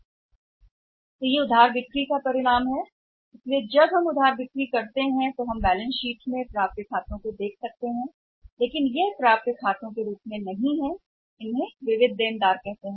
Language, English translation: Hindi, This is the result of the credit sales so when we sell on the credit we see that accounts receivables come in the balance sheet but that is not accounts receivable they are called as sundry debtors, there called as sundry debtors